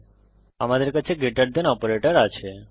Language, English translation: Bengali, Now we have the greater than operator